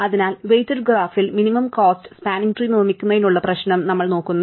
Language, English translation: Malayalam, So, we are looking at the problem of constructing a minimum cost spanning tree in a weighted graph